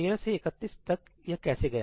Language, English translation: Hindi, How can it go from 13 to 31